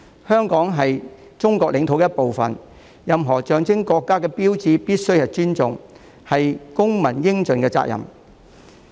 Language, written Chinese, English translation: Cantonese, 香港是中國領土的一部分，我們必須尊重任何象徵國家的標誌，這是公民應盡的責任。, Hong Kong is a part of the Chinese territory we must respect any symbol which serves as a sign of the country . This is the responsibility of every citizen